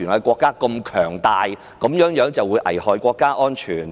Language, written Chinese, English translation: Cantonese, 國家如此強大，這樣便能危害其安全？, As our country is so powerful can its security be threatened so easily?